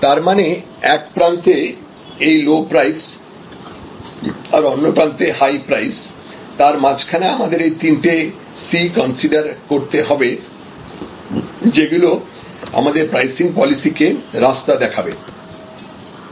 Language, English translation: Bengali, So, between this one end of low price, another end of high price, we have this considerations of the three C’S, which will guide our pricing policy